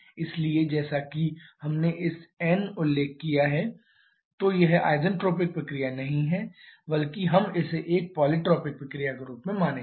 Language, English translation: Hindi, So, here as we have this in mentioned so it is not poly tropic sorry it is not isentropic process rather we shall be treating this one as a poly tropic process